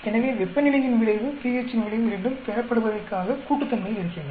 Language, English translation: Tamil, So, the effect of temperature, effect of pH are additive towards yield